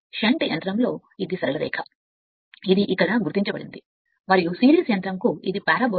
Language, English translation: Telugu, For shunt motor this is straight line right this is marked it here, and for series motor it is parabola right